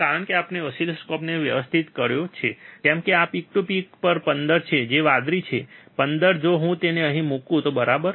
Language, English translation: Gujarati, Because we have adjusted the oscilloscope, such that even the this peak to peak is 15 that is the blue one is 15 if I if I put it here, right